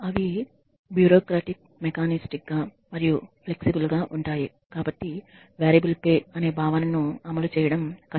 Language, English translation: Telugu, They tend to be bureaucratic mechanistic and inflexible so it is difficult it becomes difficult to implement the concept of variable pay